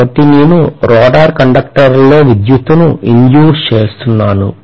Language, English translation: Telugu, So I am inducing electricity in the rotor conductors